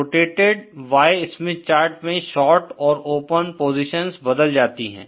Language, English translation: Hindi, In the rotated Y Smith chart, the short and open positions are exchanged